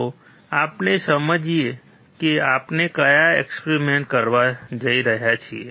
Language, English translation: Gujarati, Let us understand what experiments we are going to perform